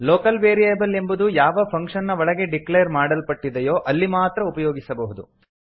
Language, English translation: Kannada, A local variable is available only to the function inside which it is declared